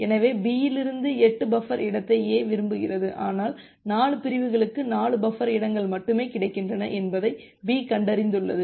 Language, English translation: Tamil, So, A wants 8 buffer space from B, but B finds that well only 4 buffer space are available buffer space for 4 segments are available